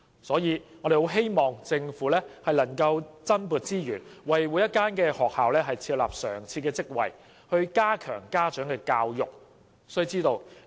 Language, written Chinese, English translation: Cantonese, 所以，我們十分希望政府能夠增撥資源，為所有學校設立常設職位，加強家長教育。, This is why we very much hope that the Government can allocate additional resources to the establishment of permanent posts for all schools such that enhance parent education can be enhanced